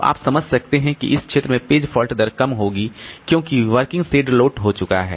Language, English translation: Hindi, So, you can understand that in this region the page fault rate will be low because the working set has been loaded